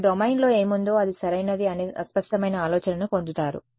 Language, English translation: Telugu, You will get a fuzzy idea of what is in the domain no that is correct